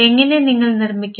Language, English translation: Malayalam, How we will construct